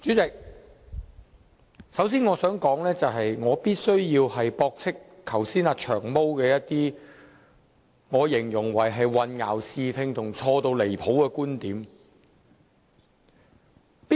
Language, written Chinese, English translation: Cantonese, 主席，首先我想說的是我必須駁斥"長毛"剛才一些被我形容為混淆視聽和錯得很離譜的觀點。, Chairman the first thing that I wish to say is that I must refute certain arguments put forward by Long Hair described by me as misleading and sheer fallacy earlier on